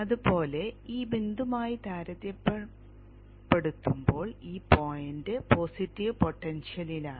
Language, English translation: Malayalam, Likewise this point is at a positive potential compared to this point